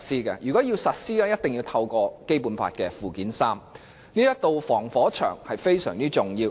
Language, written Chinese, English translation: Cantonese, 任何法例要在香港實施，必須透過《基本法》附件三，這道防火牆非常重要。, Laws to be introduced in Hong Kong must be added to list of laws in Annex III to the Basic Law which is a very important firewall